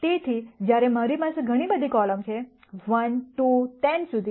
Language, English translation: Gujarati, So, while I have many many columns here, 1 2 all the way up to 10